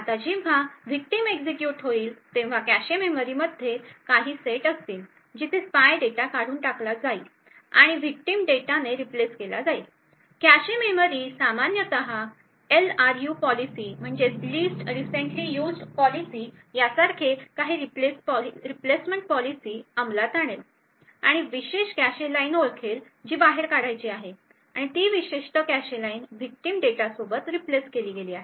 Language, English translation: Marathi, Now when the victim executes there will be certain sets in the cache memory, where the spy data would be evicted and replaced with the victim data, cache memory would typically implement some replacement policy such as the LRU policy and identify a particular cache line to evict and that particular cache line is replaced with the victim data